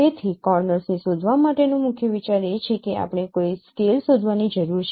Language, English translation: Gujarati, So the key idea for detecting this kind of corners is that we need to find out a scale